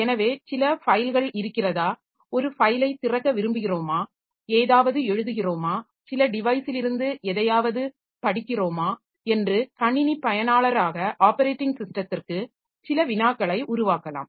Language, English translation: Tamil, Now, operating system must provide services to users, like as an user of the system so we can make some query to the operating system for whether some files exist, whether we want to open a file, write something, read something from some device and all